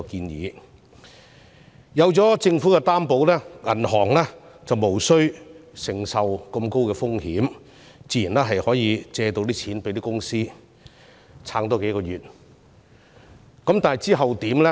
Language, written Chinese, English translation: Cantonese, 有政府作擔保，銀行便無須承擔很高的風險，自然願意向中小企借貸，使它們再撐幾個月。, With the Government as the guarantor banks are free from high risks and therefore are willing to grant loans to SMEs enabling them to sustain a few months further